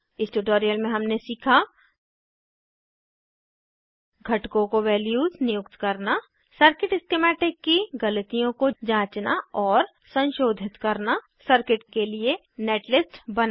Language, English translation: Hindi, In this tutorial we learnt, To assign values to components To check and correct for errors in circuit schematic To generate netlist for circuit